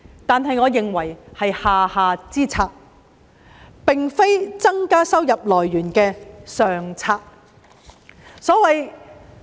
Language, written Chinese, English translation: Cantonese, 但是，我認為這是下下之策，並非增加收入來源的上策。, However I think that is a very bad policy to increase sources of income